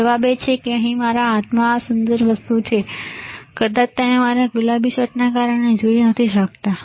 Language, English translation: Gujarati, Answer is this beautiful thing in my hand here, right, maybe you cannot see because my of my pink shirt